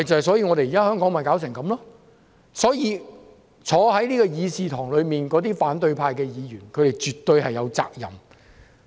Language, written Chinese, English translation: Cantonese, 所以，香港弄成這樣，議事堂內的反對派議員絕對有責任。, So the opposition Members in this Chamber are absolutely responsible for the chaos in Hong Kong